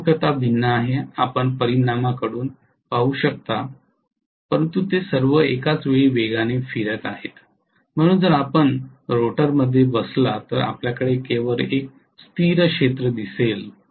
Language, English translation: Marathi, Orientation is different you can see from the resultant but all of them are rotating at synchronous speed, so if you sit in the rotor you will see only a constant field